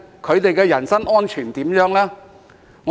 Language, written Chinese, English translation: Cantonese, 他們的人身安全如何呢？, What about their personal safety?